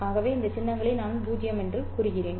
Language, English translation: Tamil, So let's say I denote these symbols as 0